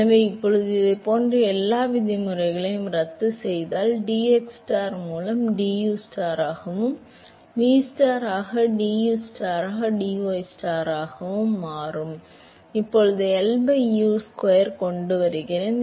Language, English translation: Tamil, So, now, if I cancel out all the like terms and so, this will become ustar into dustar by dxstar plus vstar into dustar by dystar that is equal to, now, I bring L by U square